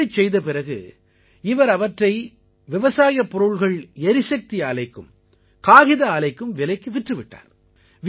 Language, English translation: Tamil, After having made the bundles, he sold the stubble to agro energy plants and paper mills